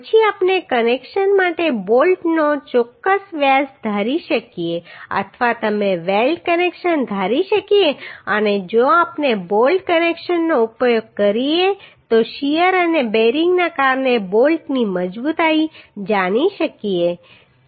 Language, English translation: Gujarati, Then we can assume certain diameter of bolt for connections or you can assume the weld connections and if we use bolt connections we can find out the strength of the bolt due to shear and due to bearing